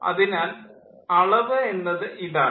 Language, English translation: Malayalam, so that is regarding the number